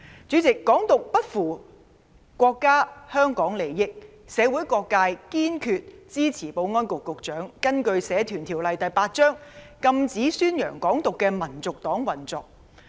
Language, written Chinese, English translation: Cantonese, 主席，"港獨"不符國家和香港的利益，社會各界堅決支持保安局局長根據《社團條例》第8條，禁止宣揚"港獨"的香港民族黨運作。, President Hong Kong independence is not in the interests of our country and Hong Kong . Various social sectors firmly support the Secretary for Security to under section 8 of the Societies Ordinance prohibit the operation of HKNP which publicizes Hong Kong independence